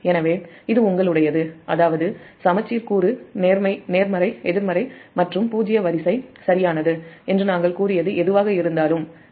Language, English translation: Tamil, that means whatever we have said: the symmetrical component, positive, negative and zero sequence, right